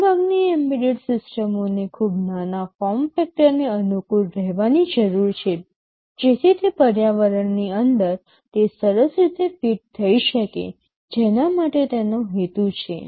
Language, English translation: Gujarati, Most of the embedded systems need to conform to a very small form factor, so that it can fit nicely inside the environment for which it is meant